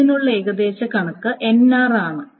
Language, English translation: Malayalam, That's an estimate